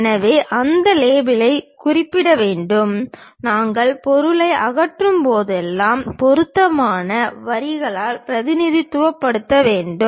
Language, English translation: Tamil, So, that label has to be mentioned and whenever you remove the material, you have to represent by suitable lines